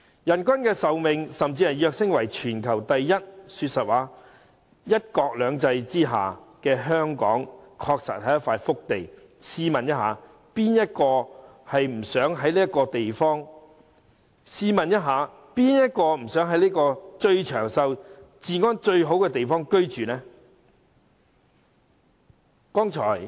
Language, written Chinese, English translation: Cantonese, 香港的人均壽命甚至躍升為全球第一，說實話，在"一國兩制"下的香港，確實是一塊福地，試問誰不想在最長壽、治安最好的地方居住？, Hong Kong even has the highest life expectancy in the world . Frankly speaking Hong Kong is a blessed place under one country two systems . Who does not want to live the longest life possible in the safest place on earth?